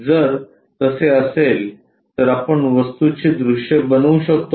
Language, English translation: Marathi, If that is the case can we construct views of the object